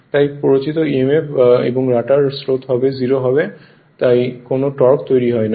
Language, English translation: Bengali, And and therefore, the induced emf and rotor currents will be 0 and hence no torque is developed right